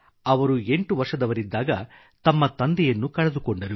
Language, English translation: Kannada, When he turned eight he lost his father